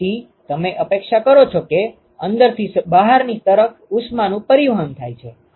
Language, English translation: Gujarati, So, you expect that there is heat transport from inside to the outside